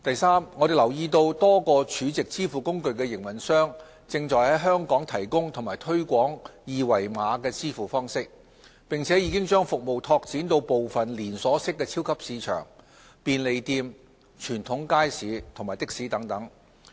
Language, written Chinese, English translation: Cantonese, 三我們留意到多個儲值支付工具營運商正在香港提供和推廣二維碼支付方式，並已將服務拓展至部分連鎖式超級市場、便利店、傳統街市及的士等。, 3 We note that a number of SVF operators are providing and promoting QR code payments in Hong Kong . Their services have expanded to some chain supermarkets convenience stores wet markets and taxis